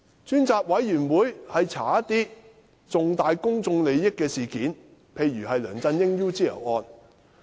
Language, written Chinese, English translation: Cantonese, 專責委員會旨在調查涉及重大公眾利益的事件，例如梁振英的 UGL 案件。, The purpose of forming select committees is to inquire into incidents involving significant public interests such as the UGL case which involves LEUNG Chun - ying